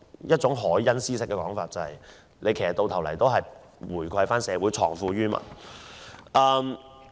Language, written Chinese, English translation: Cantonese, 套用凱恩斯的說法，都是為了回饋社會，藏富於民。, According to the Keynesian view this is to give back to the community and leave wealth with the people